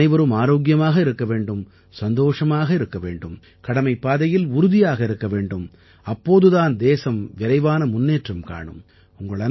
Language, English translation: Tamil, May all of you be healthy, be happy, stay steadfast on the path of duty and service and the country will continue to move ahead fast